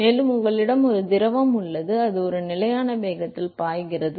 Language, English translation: Tamil, And you have a fluid which is flowing at a constant velocity